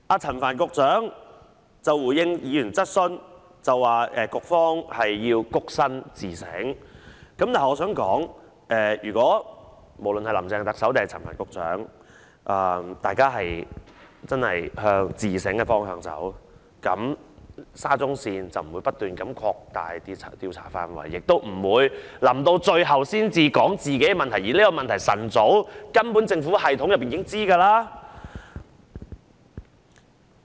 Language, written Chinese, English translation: Cantonese, 陳帆局長剛才回應議員質詢說局方要躬身自省，但我想說，無論是林鄭特首或陳帆局長如果真的向自省的方向走，沙中線這件事便不會不斷擴大調查範圍，亦不會在最後一刻才說出問題，而這個問題根本在政府系統內早已知悉。, Secretary Frank CHAN said just now in response to a Members question that the Bureau should engage in humble introspection . But I would like to say that had Chief Executive Carrie Lam or Secretary Frank CHAN really taken an attitude of soul - searching the scope of inquiry into SCL would not have been expanded continued and the problems would not have been revealed only at the last moment when the Government had known it a long time ago already